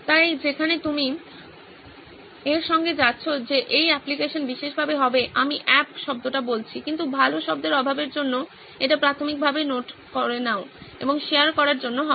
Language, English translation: Bengali, So that is where you are going with this that this app will be specifically, I am saying the word app but for a lack of better terms, is it will primarily be for note taking and sharing